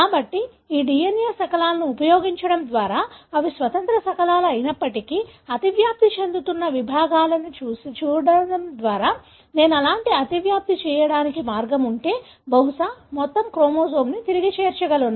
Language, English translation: Telugu, So, by using these DNA fragments, although they are independent fragments, by looking into the overlapping segments, I am able to stitch back probably the entire chromosome, if I have a way to do such kind of overlapping